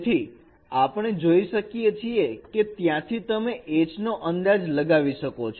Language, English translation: Gujarati, So we can see that even from there we can estimate H